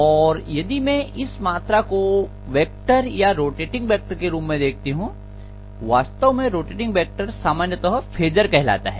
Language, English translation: Hindi, Now, if I have to actually refer to this quantity in the form of a vector or rotating vector, actually rotating vector is generally known as phasor